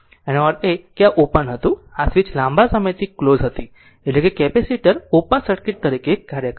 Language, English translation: Gujarati, That means, this is this was open and this switch was closed for long time, that means capacitor is acting as an your open circuit